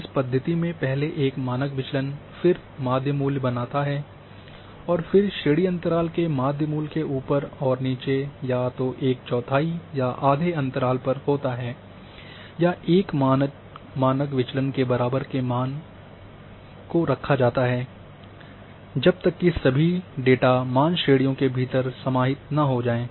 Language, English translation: Hindi, A standard deviation in this method, the mean value is formed and then class breaks above and below the mean at the interval of either one forth, half or one standard deviation are placed until all data values are contained within the classes